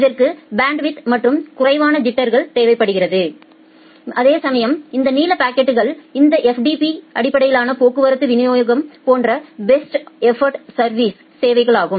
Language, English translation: Tamil, It requires more bandwidth and requires a less jitter whereas, this blue packets are normal best effort services like this FTP based traffic delivery